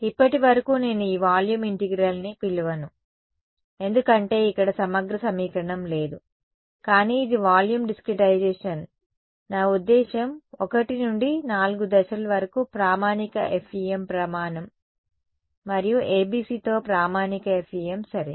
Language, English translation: Telugu, So far, well I will not call this volume integral because there is no integral equation over here, but this is the volume discretization it is a volume discretization, until I mean step 1 to 4 are standard FEM standard and standard FEM with ABC ok